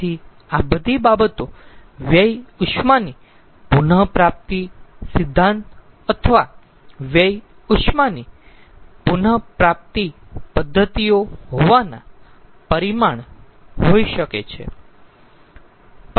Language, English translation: Gujarati, so all these things could be some sort of consequence of having waste heat recovery principle or waste heat recovery methods